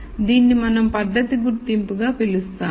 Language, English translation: Telugu, So, this is what we call as method identification